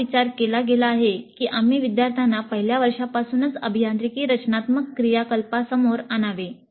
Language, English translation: Marathi, So the thinking has been that we should expose the students to the engineering design activity right in first year